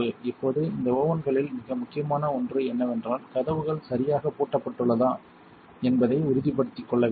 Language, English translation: Tamil, Now something very important about these ovens is you want to make sure the doors are properly latched